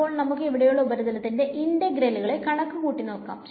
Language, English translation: Malayalam, So, let us just do the calculation of the surface integral over here